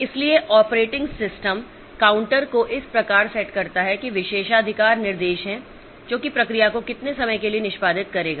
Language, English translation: Hindi, So, operating system sets the counter by me so that is the privilege instruction so that will set for how much time the process should execute